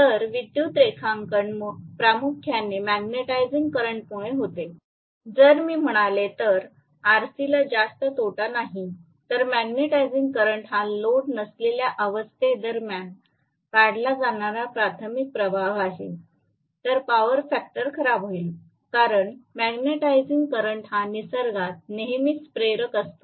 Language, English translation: Marathi, So, the current drawn is primarily due to the magnetizing current, if I say RC is not having much of losses, if magnetizing current is the primary current that is being drawn during no load condition, the power factor is going to be bad, really bad, because magnetizing current is always inductive in nature